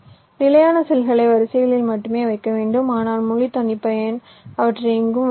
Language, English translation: Tamil, they are fixed in standard cell you can place the cells only in rows but in full custom you can place them anywhere